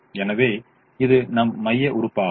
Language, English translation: Tamil, so this is our pivot element